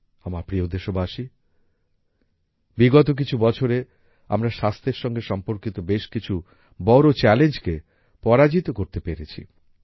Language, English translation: Bengali, My dear countrymen, in the last few years we have overcome many major challenges related to the health sector